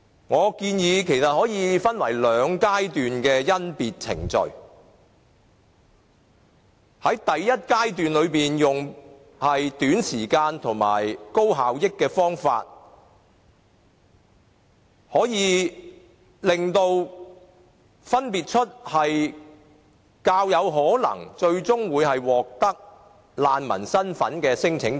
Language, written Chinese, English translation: Cantonese, 我建議甄別程序可以分為兩階段，在第一階段用短時間及高效益的方法，分別出較有可能最終獲得難民身份的聲請者。, I suggest that the screening process should be divided into two stages . In the first stage we should spend a shorter period of time and adopt some highly effective measures to identify those claimants who are more likely to award refugee status